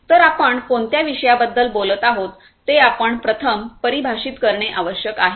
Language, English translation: Marathi, So, you need to first define which subject we are talking about